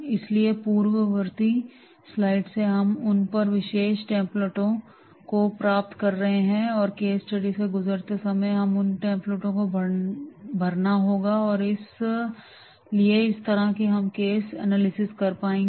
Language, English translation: Hindi, So, from the preceding slides we are getting those particular templates and while going through the case study, we have to fill those templates and therefore that way we will be able to do the case analysis